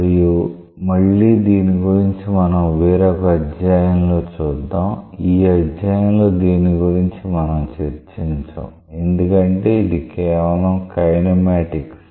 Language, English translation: Telugu, And we will again take it up later on in one of our chapters, we will not take it up in this chapter because these just bothers about the kinematics